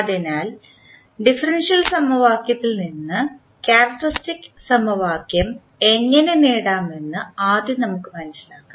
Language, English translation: Malayalam, So, first we will understand how we get the characteristic equation from a differential equation